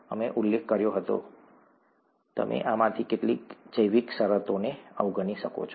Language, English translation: Gujarati, We had mentioned that you could ignore some of these biological terms